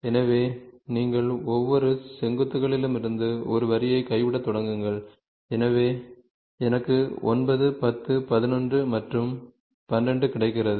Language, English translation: Tamil, So, then what you do you draw start dropping a line from each vertices so I get 9, 10, 11 and 12 ok